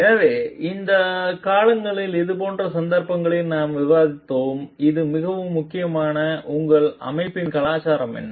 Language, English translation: Tamil, So, we look like we have discussed past such cases so it is very important what is the culture of your organization